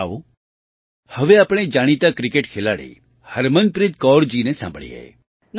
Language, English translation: Gujarati, Come, now let us listen to the famous cricket player Harmanpreet Kaur ji